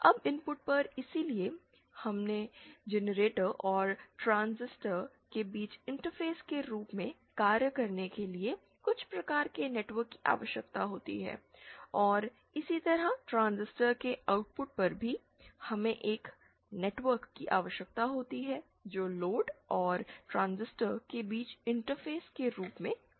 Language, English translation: Hindi, Now, at the input, therefore we need some kind of network to act as an interface between the generator and the transistor and similarly at the output of the transistor also, we need a network which will act as an interface between the load and the transistor